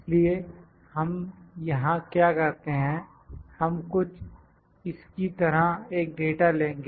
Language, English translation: Hindi, So, what we do here, we have we will have a data something like this